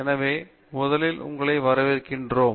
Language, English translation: Tamil, So first of all welcome